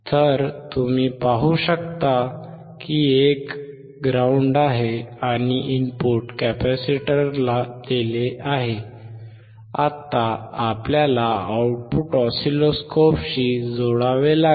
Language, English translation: Marathi, So, you can see one is ground, and the input is given to the capacitor, now we have to connect the output to the oscilloscope